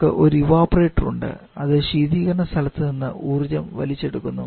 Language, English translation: Malayalam, We have one evaporator where we have to pick up the energy of the refrigerant space